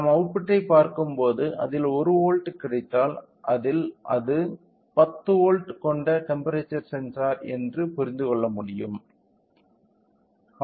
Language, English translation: Tamil, So, we are by looking into the output say if I get 1 volt which mean that we can understand the temperature sensor of 10 volts